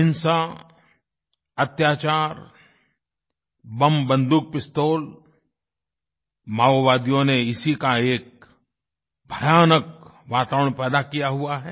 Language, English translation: Hindi, Violence, torture, explosives, guns, pistols… the Maoists have created a scary reign of terror